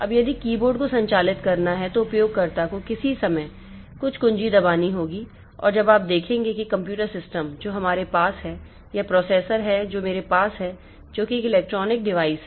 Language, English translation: Hindi, Now, if the keyboard has to be operated, the user has to press some key at some point of time and now you see that the computer system that we have or the processor that I have, so that is an electronic device